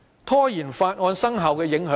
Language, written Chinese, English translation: Cantonese, 拖延《條例草案》生效有何影響？, What will be the impact of procrastinating the implementation of the Bill?